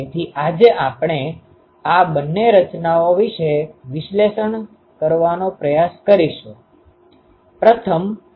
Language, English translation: Gujarati, So, these 2 structure today we will try to analyze